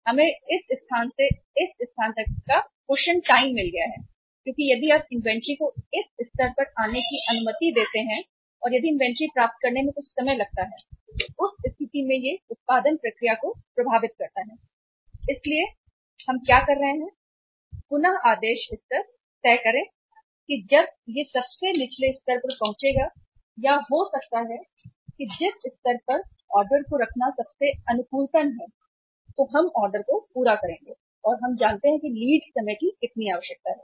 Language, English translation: Hindi, We have got the cushion period here from this place to this place because if you allow the inventory to come down to this level and if takes some time to receive the inventory so in that case it may affect the production process so what we do is we decide the reordering level that when it will reach at the lowest level or maybe the level where the placing the order is most optimum then we will be placing the order and we know that how much is the lead time required